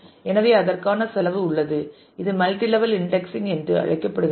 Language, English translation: Tamil, So, the cost for that so, this is what is called a multi level indexing